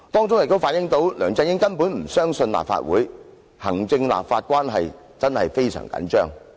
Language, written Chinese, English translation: Cantonese, 這反映出梁振英根本不相信立法會，行政立法關係真的非常緊張。, This reflects that LEUNG Chun - ying does not trust the Legislative Council and the executive - legislature relationship is very tense